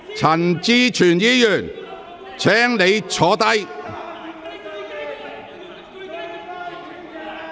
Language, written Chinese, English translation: Cantonese, 陳志全議員，請你坐下。, Mr CHAN Chi - chuen please sit down